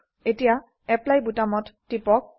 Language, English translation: Assamese, Now let us click on Apply button